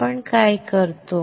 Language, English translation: Marathi, What we do